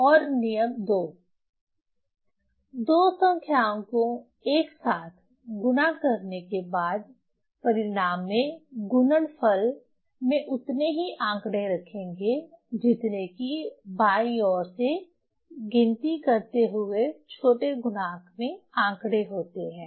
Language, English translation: Hindi, So, that's the rule is stated in this rule one and rule two after multiplying two numbers together keep in the result as many figures of the product counting from the left as there are figures in the smaller factor